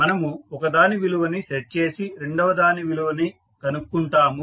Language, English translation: Telugu, We will set the value of one and find out the value of second